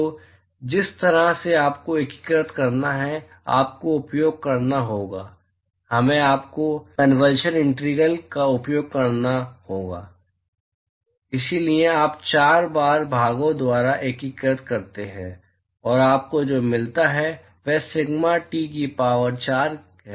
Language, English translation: Hindi, So, the way you have to integrate is, you have to use, we you have to use the convolution integral so, you do a integration by parts 4 times, and what you get is sigma T to the power of 4